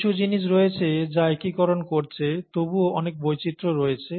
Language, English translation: Bengali, There are certain things which are unifying, yet there’s a huge diversity